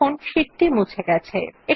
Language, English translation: Bengali, You see that the sheet gets deleted